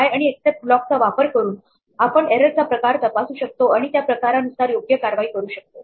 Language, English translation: Marathi, Using a try and except block, we can check the type of error and take appropriate action based on the type